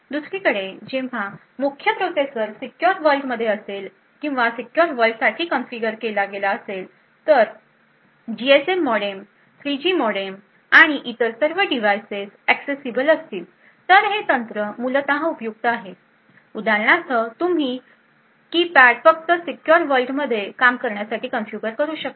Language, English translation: Marathi, On the other hand when the main processor is in the secure world or configured for the secure world then the GSM modem the 3G modem and all other devices would become accessible so this technique is essentially useful for example where you are able to configure say the keypad to only work in the secure world